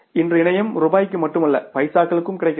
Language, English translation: Tamil, Today internet is available for not even rupees but pesos